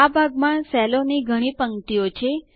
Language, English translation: Gujarati, This area has several rows of cells